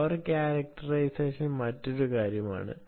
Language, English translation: Malayalam, power characterization is another story